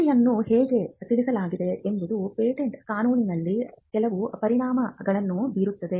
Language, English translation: Kannada, How this report is communicated can have certain implications in patent law